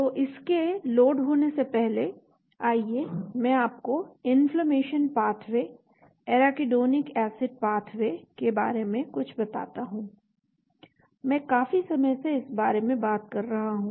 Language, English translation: Hindi, So before it gets loaded, let me tell you something about the inflammation pathway, the Arachidonic acid pathway, I have been talking about that for a long time